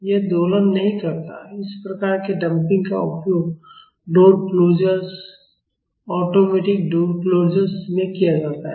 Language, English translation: Hindi, It does not oscillate this type of damping is used in door closers, automatic door closers